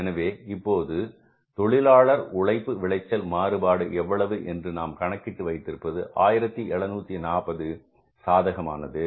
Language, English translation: Tamil, So if calculate this labor yield variance, this will be, we have found out here is that is 1740, this is favorable